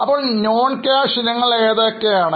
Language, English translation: Malayalam, So, what are those non cash items